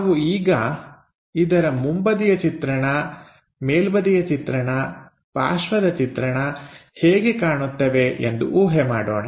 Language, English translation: Kannada, So, let us guess how these front view side view top view looks like